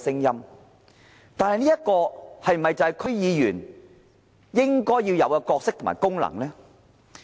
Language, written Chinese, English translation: Cantonese, 然而，這是否區議員應有的角色和功能呢？, However does this represent the proper role and functions of DC members?